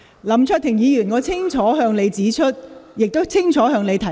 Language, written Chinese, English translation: Cantonese, 林卓廷議員，我已清楚向你指出，亦清楚向你提問。, Mr LAM Cheuk - ting I have made things clear to you and clearly asked you a question